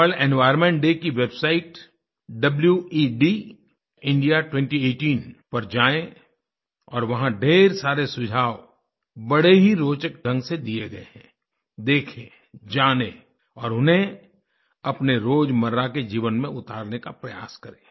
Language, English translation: Hindi, Let us all visit the World Environment Day website 'wedindia 2018' and try to imbibe and inculcate the many interesting suggestions given there into our everyday life